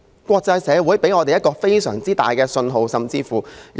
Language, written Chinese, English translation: Cantonese, 國際社會給了我們一個非常大的信號。, The international community has given us a very significant signal